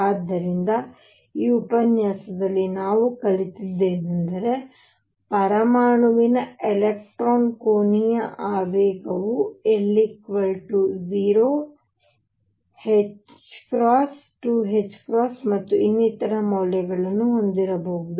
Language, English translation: Kannada, So, to conclude this what we have learnt in this lecture is that angular momentum of electron in an atom could have values l equals 0, h cross, 2 h cross and so on